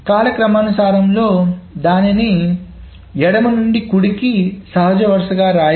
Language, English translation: Telugu, So in a chronological order and we will write it from left to right as a natural reading